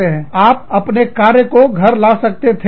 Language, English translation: Hindi, So, you could have carried, work home